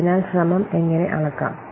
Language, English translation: Malayalam, So how to measure the effort